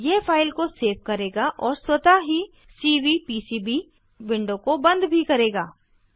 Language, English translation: Hindi, This will save the file and also close the Cvpcb window automatically